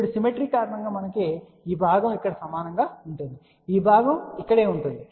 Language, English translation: Telugu, Now, because of the symmetry this component will be same as here this component will be same as here